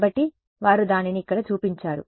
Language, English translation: Telugu, So, they have shown it over here